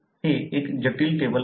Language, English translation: Marathi, It is a complex table